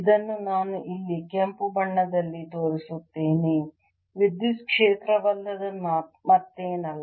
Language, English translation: Kannada, let me show this here in the red is nothing but the electric field